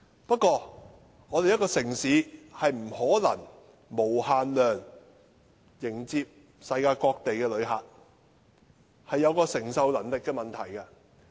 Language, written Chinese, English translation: Cantonese, 不過，一個城市不可能無限量接待世界各地的旅客，這是承受能力的問題。, However a city cannot possibly receive an unlimited number of visitors from various parts of the world; this is an issue relating to the capacity of receiving visitors